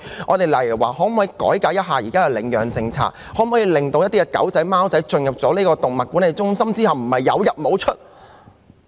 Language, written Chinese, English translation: Cantonese, 又例如可否改革現時的領養政策，令貓狗進入動物管理中心後，不會是"有入無出"？, As another example can the current adoption policy be reformed so that it will no longer be the case that the cats and dogs having been sent to animal management centres can never come out alive again?